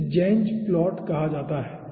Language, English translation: Hindi, this is called zenz plot